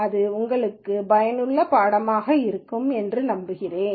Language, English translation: Tamil, I hope this was an useful course for you